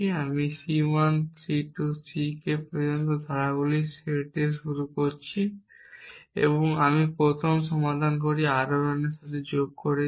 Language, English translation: Bengali, I am starting with set of clauses C 1 C 2 up to C k and I added with a first resolvent R 1 then to this added R 2 then R 3 R 4 and so on till R l